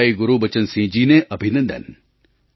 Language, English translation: Gujarati, Congratulations to bhaiGurbachan Singh ji